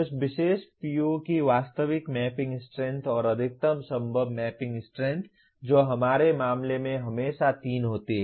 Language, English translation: Hindi, The actual mapping strength of that particular PO and the maximum possible mapping strength which is always 3 in our case